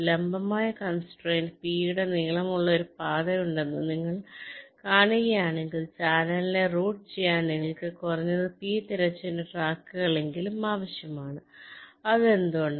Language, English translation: Malayalam, in a vertical constraint graph, if you see that there is a path of length p, then you will need at least p horizontal tracks to route the channel